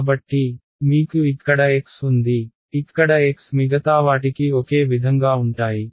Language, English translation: Telugu, So, I have x over here x over here everything else is same